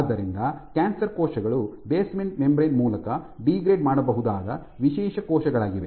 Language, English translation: Kannada, So, cells cancer cells are those specialized cells, which can degrade through the basement membrane